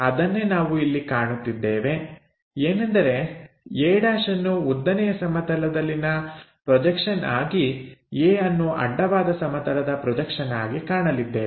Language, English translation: Kannada, That is the thing what we are seeing a’ as the vertical projection, a as the horizontal projection